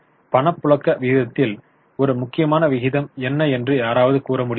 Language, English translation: Tamil, Can somebody suggest what is an important ratio in liquidity